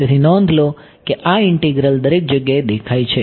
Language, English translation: Gujarati, So, notice that this integral appears everywhere its